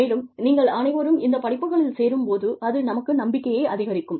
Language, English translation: Tamil, And, when you all, enrolled for these courses, that boosts our confidence